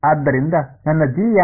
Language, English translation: Kannada, So, what was my G